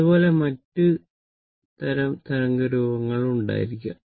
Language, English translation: Malayalam, Similarly, you may have other type of wave form